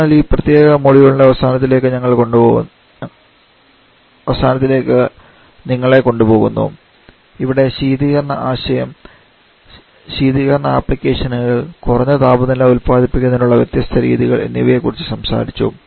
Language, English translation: Malayalam, So, that it says to the end of this particular module query have talked about the concept of refrigeration discuss about refrigerant applications different methods of producing low temperature